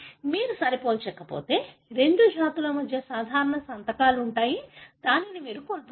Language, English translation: Telugu, If you do not compare, such kind of signatures that are common between two species, you are going to miss out